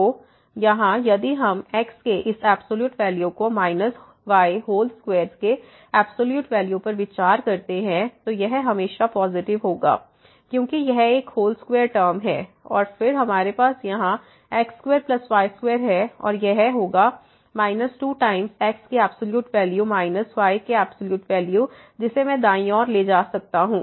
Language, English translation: Hindi, So, here if we consider this absolute value of minus absolute value of whole square, this will be always positive because this is a whole square term and then, we have here square plus square and this will be minus 2 times absolute value of minus absolute value of which I can bring to the right hand side